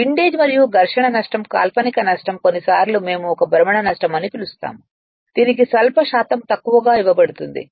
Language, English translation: Telugu, Windage and friction loss right fictional loss sometimes we called is a rotational loss that will be given few percen[tage] some percentage of this right